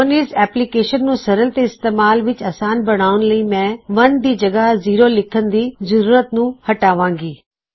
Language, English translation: Punjabi, Now what I will do to make this application fully functional and easy to navigate, is eliminate the necessity to write zero for 1